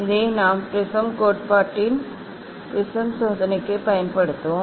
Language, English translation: Tamil, this we will use for prism experiment of prism theory